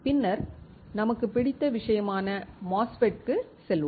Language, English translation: Tamil, Then we will move to our favourite thing which is MOSFET